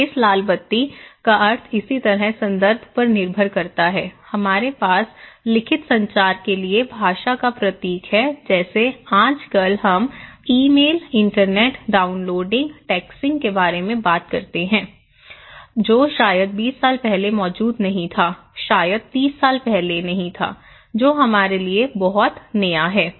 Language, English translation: Hindi, So, the meaning of this red light depends on the context similarly, we have language symbol used for written communications okay like nowadays, we are talking about emails, internets, downloading, texting which was not there just maybe 20 years before okay or maybe 30 years before so, which is very new to us